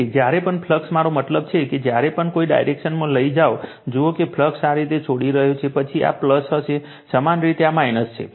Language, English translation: Gujarati, So, whenever flux I mean whenever you take in a direction, you see that flux is leaving like this, then this will be your plus, this is minus for analogous